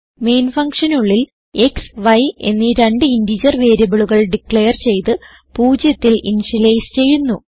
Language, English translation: Malayalam, Inside the main function we have declared two integer variables x and y and initialized to 0